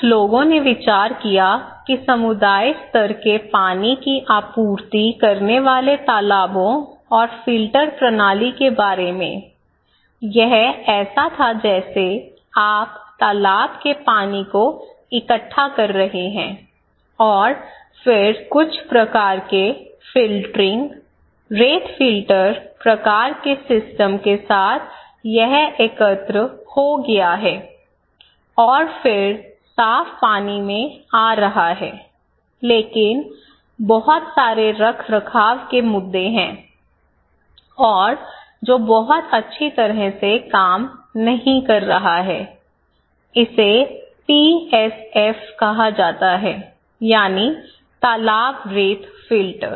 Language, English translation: Hindi, Some people came up with idea community level water supply ponds and filter system, okay so, it was like you are collecting the pond water and then with some kind of filtering, sand filter kind of system, then it is aggregated and then coming to clear water but there is a lot of maintenance issues, and which is not working very well, it is called PSF; pond sand filter